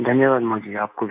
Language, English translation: Hindi, Thank you Modi ji to you too